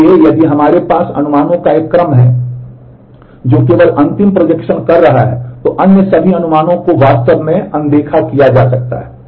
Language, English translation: Hindi, So, if we have a sequence of projections that is simply doing the last projection all other projections can actually be ignored